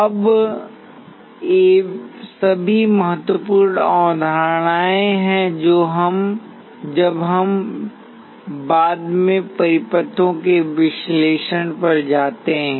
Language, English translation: Hindi, Now these are all important concepts, when we later go to analysis of circuits